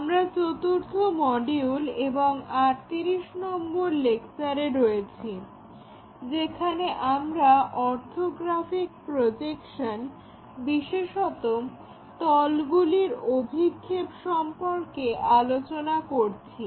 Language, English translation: Bengali, We are covering Module number 4, Lecture number 38, it is about Orthographic Projections especially Projection of planes